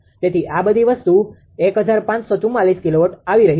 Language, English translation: Gujarati, So, all this thing it is coming 154 1544 kilowatt right